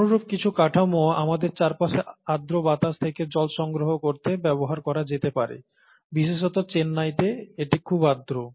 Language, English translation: Bengali, And, some similar structures can be used to capture water from, like the humid air around us, especially in Chennai it's very humid